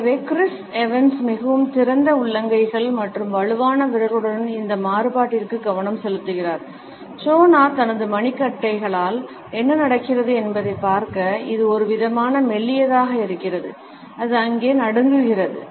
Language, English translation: Tamil, So, pay attention to this contrast this with Chris Evans very open available palms and strong fingers to see what Jonah has going on with his wrists which it is kind of flimsy it kind of just shakes there